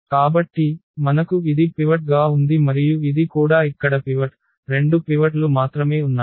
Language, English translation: Telugu, So, we have this one as a pivot and this is also pivot here, only there are two pivots